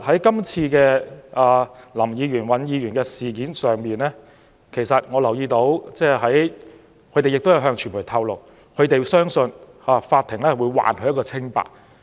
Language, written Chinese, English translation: Cantonese, 就涉及林議員和尹議員的事件，兩位議員也曾對傳媒表示，他們相信法庭會還他們一個清白。, In relation to the case involving Mr LAM and Mr WAN they have also told the media that they believed that the court would clear their name